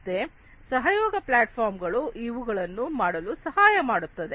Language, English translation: Kannada, So, this is what a collaboration platform will help in doing